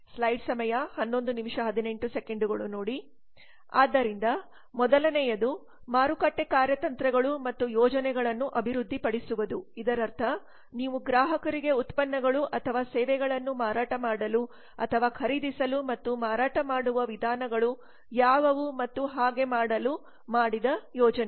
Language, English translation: Kannada, so first is to develop market strategies and plans that means what are the ways through which you can market or buy and sell the products or services to the customers and the plans made for doing so